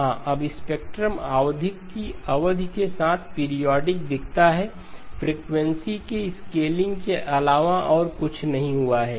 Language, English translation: Hindi, Yes, now the spectrum looks periodic with period 2pi by 5 and other than the scaling of the frequency nothing else has happened